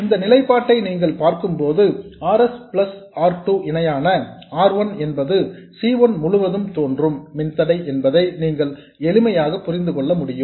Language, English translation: Tamil, And you simply see that RS plus R2 parallel R1, which you see in this expression is the resistance that appears across C1